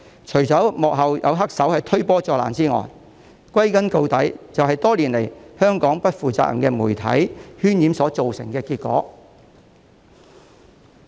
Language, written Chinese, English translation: Cantonese, 除了有幕後黑手推波助瀾之外，歸根究底，就是香港不負責任的媒體多年來渲染所造成的結果。, Apart from the masterminds behind the scene who add fuel to the fire in the final analysis it is the outcome of the smears of those irresponsible media in Hong Kong over the years